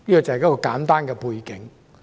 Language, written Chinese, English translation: Cantonese, 這是簡單的背景。, This is the brief background